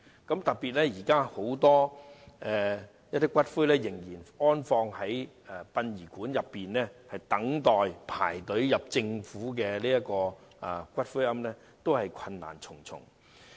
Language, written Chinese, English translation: Cantonese, 現時有很多骨灰仍然放置在殯儀館內，輪候遷入政府的骨灰安置所，過程困難重重。, At the moment a lot of ashes are still kept in funeral parlours and waiting to be moved into government columbaria the niches of which are very hard to secure